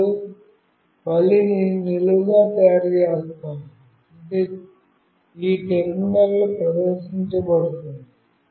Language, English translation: Telugu, Now, again I have made it vertically up, which is displayed in this terminal